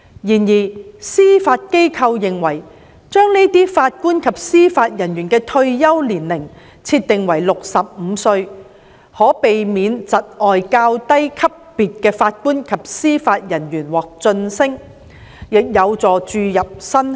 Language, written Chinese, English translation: Cantonese, 然而，司法機構認為把該些法官及司法人員的退休年齡設定為65歲，可避免窒礙較低級別的法官及司法人員獲晉升，亦有助注入新血。, However the Judiciary considers that setting the retirement age for JJOs below CFI level at 65 would avoid creating promotion blockage for junior JJOs and attract new blood